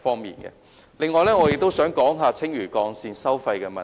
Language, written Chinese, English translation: Cantonese, 此外，我也想說說青嶼幹線的收費問題。, Moreover I wish to talk about the toll of Lantau Link